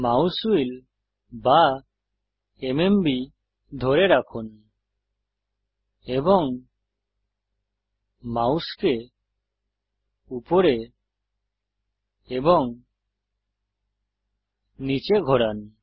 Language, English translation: Bengali, Hold the Mouse Wheel or the MMB and move the mouse up and down